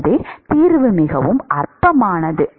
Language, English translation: Tamil, So, the solution is very trivial